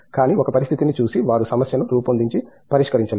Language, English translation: Telugu, But, given a situation they are not able to formulate a problem and solve